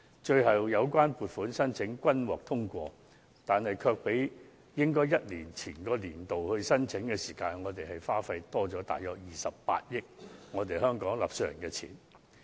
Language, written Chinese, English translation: Cantonese, 最終，有關撥款申請均獲通過，但正因延後一年才處理有關申請，結果便多花了28億元我們香港納稅人的金錢。, All such funding applications were eventually approved but since they were dealt with after being delayed for one whole year our taxpayers have to pay an additional sum of 2.8 billion in the end